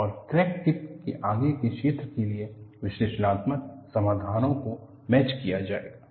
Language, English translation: Hindi, And analytical solutions would be matched for the region I had of the crack tip